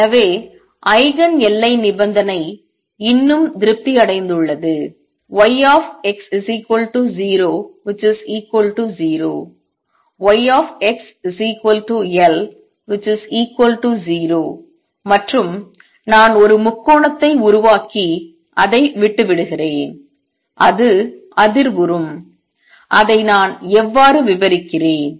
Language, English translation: Tamil, So, Eigen the boundary condition is still satisfied that y at x equals to 0 is 0 y at x equals L it is still 0 and I just make a triangle and leave it and it vibrates; how do I describe that